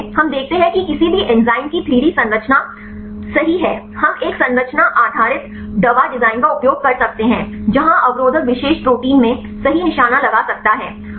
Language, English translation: Hindi, So, we see given the 3 D structure of any enzyme right we can use a structure based drug design right where the inhibitor can target right in the particular protein